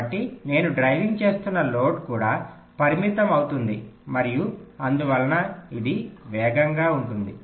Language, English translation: Telugu, so the load it is driving also gets limited and hence it will be fast